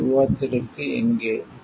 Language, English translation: Tamil, Where this is for the discussion